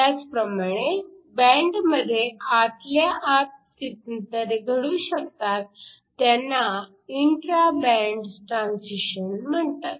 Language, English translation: Marathi, You could also have transitions within the band these are called intra band transitions